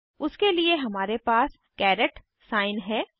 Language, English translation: Hindi, For that we have the caret sign